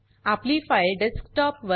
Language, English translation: Marathi, Our file will be created on the desktop